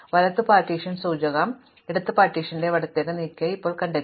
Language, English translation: Malayalam, And now I find that the right partition indicator has moved to the left of the left partition